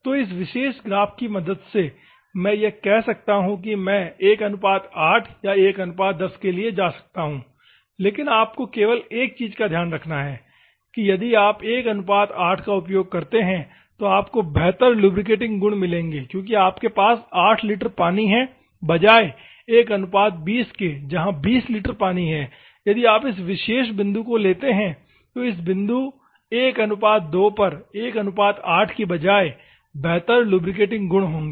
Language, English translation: Hindi, So, from this particular graph, I can say I can go for 1 is to 8 or 1 is to 10 , anything I can go, but only thing is that if you use 1 is to 8, you will get better lubricating properties because you have 8 litres of water instead of 1 is to 20, if you take this particular point, instead of this point 1